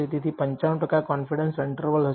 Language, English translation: Gujarati, So, that will be a 95 percent confidence interval